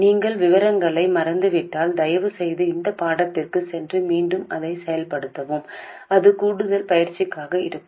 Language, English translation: Tamil, If you have forgotten the details please go back to that lesson and work it out again it will just be additional practice